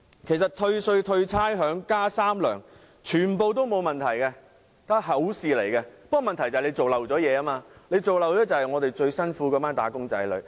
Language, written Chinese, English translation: Cantonese, 其實退稅、退差餉、加"三糧"，全部均沒有問題，問題是政府遺漏了一些工作，遺忘了那群最辛苦的"打工仔女"。, In fact tax rebates rates relief and two additional monthly Comprehensive Social Security Assistance payments are all fine . But the Government has omitted something . It has forgotten wage earners who are having the most difficult time